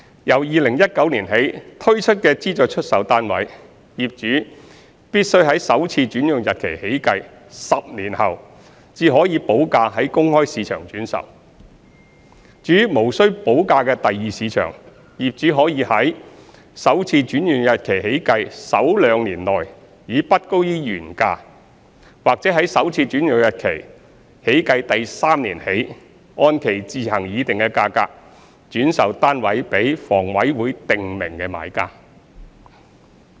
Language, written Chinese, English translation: Cantonese, 由2019年起推出的資助出售單位，業主必須在首次轉讓日期起計10年後，才可補價於公開市場轉售；至於無需補價的第二市場，業主可以於首次轉讓日期起計首兩年內以不高於原價，或在首次轉讓日期起計第三年起，按其自行議定的價格，轉售單位予房委會訂明的買家。, For SSFs launched in 2019 and beyond owners are only allowed to resell their flats in the open market upon payment of premium 10 years after first assignment; and for the Secondary Market where payment of the premium is not necessary owners may resell their flats to buyers specified by HA at not more than the original price within the first two years since first assignment or at a freely negotiated price from the third year onward since first assignment